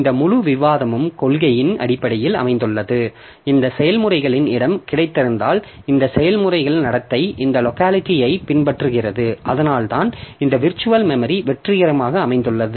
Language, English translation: Tamil, So this entire discussion is based on the policy that, okay, I have got this locality of the processes and that is the behavior of the process is following this locality and that is why this virtual memory can be successful